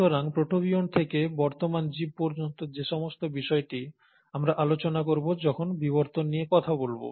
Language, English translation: Bengali, So this journey, all the way from protobionts to the present day organisms, we’ll cover them in the, in the topic of evolution